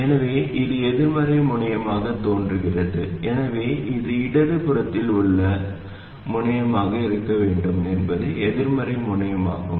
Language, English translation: Tamil, So, this appears to be the negative terminal